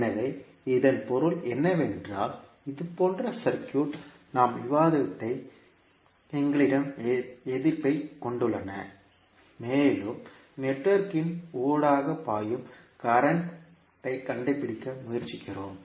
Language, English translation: Tamil, So that means that what we have discussed in the circuit like this where we have the resistances and we try to find out the current flowing through the network